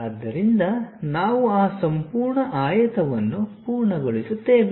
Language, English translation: Kannada, So, we complete that entire rectangle